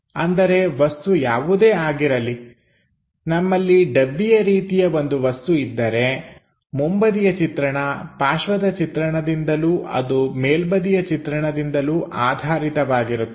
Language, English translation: Kannada, That means whatever might be the object if we have something like a box, a front view supported by a side view supported by a top view